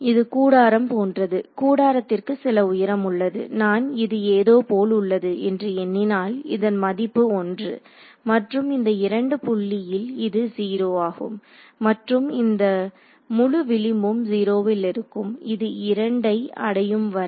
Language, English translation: Tamil, So, its like its like a tent, right the tent has some height over here if I think about it looks something like this right it has its value 1 over here this much is 1 and it goes to 0 at these 2 points and it stays 0 along this whole edge until that reaches 2 ok